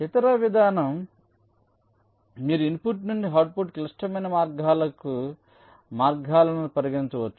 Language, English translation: Telugu, the other approach: maybe you consider paths from input to the output, critical paths